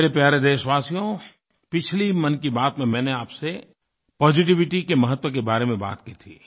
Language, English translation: Hindi, My dear countrymen, I had talked about positivity during the previous episode of Mann Ki Baat